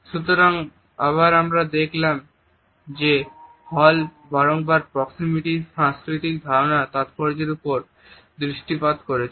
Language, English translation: Bengali, So, again we find that Hall has repeatedly highlighted the significance of cultural understanding of proximity